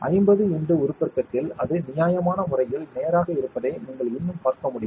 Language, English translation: Tamil, At 50 x magnification, you are still able to see that it is reasonably straight